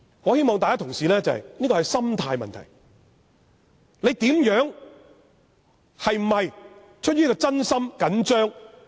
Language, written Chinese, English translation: Cantonese, 我希望同事明白這是心態的問題，是否出於真心、緊張。, I hope colleagues can understand that this actually concerns ones mentality or whether you are serious or anxious to protect investors